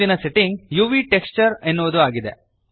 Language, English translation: Kannada, Next setting is UV texture